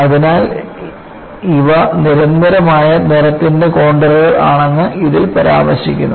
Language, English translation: Malayalam, So, it mentions that these are contours of constant color